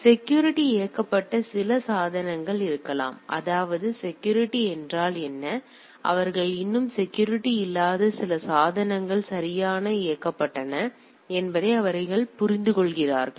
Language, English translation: Tamil, So, so there may be some devices which are security enabled; that means, they understand that what is a security, some devices which are still not security enabled right